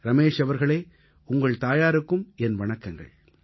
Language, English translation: Tamil, " Ramesh ji , respectful greetings to your mother